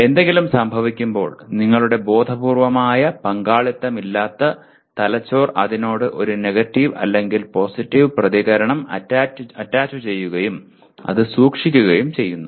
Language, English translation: Malayalam, That means when something happens the brain without your conscious participation will attach a negative or a positive reaction to that and it stores that